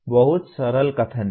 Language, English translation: Hindi, It looks very simple statement